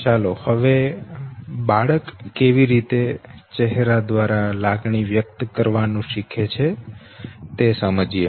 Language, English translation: Gujarati, Let us now understand how an infant human infant learns to express through face